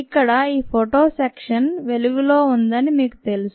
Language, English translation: Telugu, you know, this is the photo section lighted up